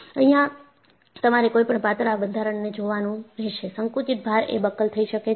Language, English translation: Gujarati, So, what you will have to look at is, any thin structure, subjected to compressive load can buckle